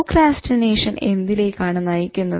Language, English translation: Malayalam, Procrastination, what is it